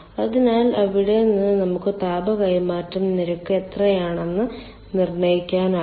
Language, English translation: Malayalam, so then from there we can determine what is our rate of heat transfer